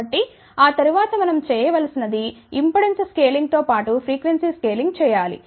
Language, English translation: Telugu, So, after that what we need to do we need to do impedance scaling as well as frequency scaling